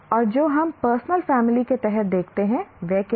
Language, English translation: Hindi, And what we look at under the personal family, what does it do